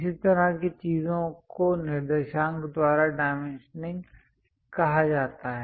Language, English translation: Hindi, This kind of thing is called dimensioning by coordinates